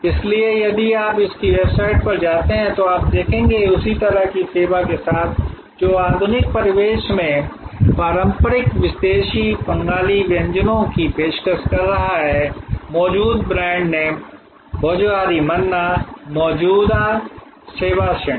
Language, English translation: Hindi, So, if you go to their website you will see that with the same kind of service, which is offering traditional exotic Bengali cuisine in modern ambience existing brand name Bhojohori Manna existing service category